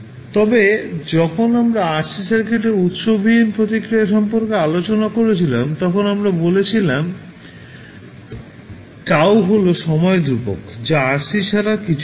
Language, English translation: Bengali, So, when you discussing about the source free response of rc circuit we termed this tau as time constant which was nothing but equal to rc